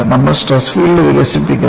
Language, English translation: Malayalam, We would develop the stress field